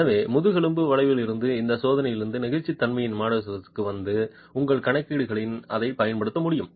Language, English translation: Tamil, And so from this test, from the backbone curve, it's possible to arrive at the model of elasticity and use that in your calculations